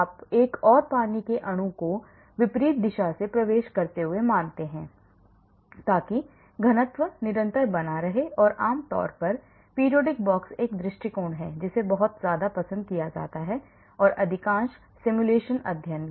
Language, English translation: Hindi, you assume another water molecule entering from the opposite side so that the density is maintained constant and generally period box is one approach which is very liked and most of the simulation studies